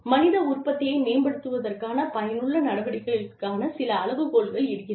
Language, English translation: Tamil, Some criteria for developing, effective measures of human output